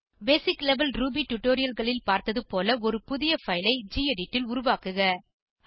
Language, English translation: Tamil, Create a new file in gedit as shown in the basic level Ruby tutorials